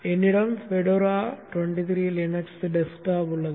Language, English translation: Tamil, I have a Fedora 23 Linux desktop